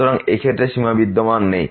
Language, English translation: Bengali, So, in this case the limit does not exist